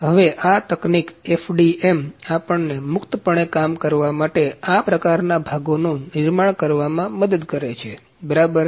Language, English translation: Gujarati, So, now this technology FDM helps us to work freely to produce these kinds of parts, ok